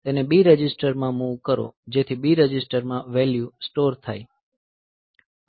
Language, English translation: Gujarati, So, move it to B register, so that in B register the value is stored ok